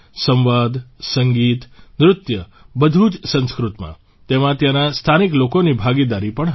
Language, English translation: Gujarati, Dialogues, music, dance, everything in Sanskrit, in which the participation of the local people was also seen